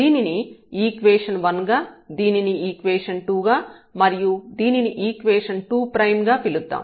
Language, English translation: Telugu, Let us call this equation number 1, here the equation number 2 and this is equation number 2 prime